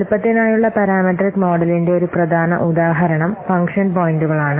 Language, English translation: Malayalam, So one of the important example for parameter model for size is function points